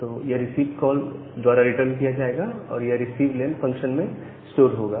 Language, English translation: Hindi, So, that will returned by the received call and it will store inside the receiveLen function